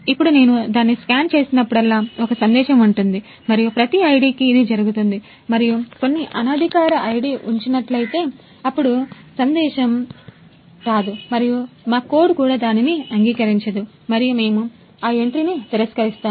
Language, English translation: Telugu, Now whenever I scan it, there will be a message and that will happen for every ID and if some unauthorized ID is placed, then there will be no message and even our code will not accept it and we will simply reject that entry